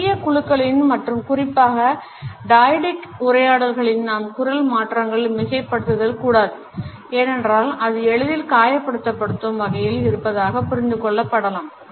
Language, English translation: Tamil, In the small groups and particularly in dyadic conversations we do not have to exaggerate voice modulations because it could be easily hurt and understood